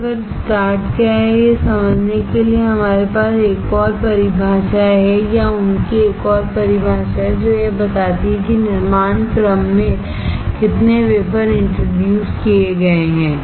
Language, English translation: Hindi, To understand what is wafer start, we have another definition or they have another definition, which shows that how many wafers are introduced into the fabrication sequence